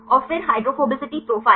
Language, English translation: Hindi, And then hydrophobicity profile